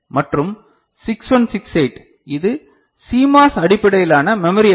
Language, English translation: Tamil, And 6168, this is CMOS based IC right, memory IC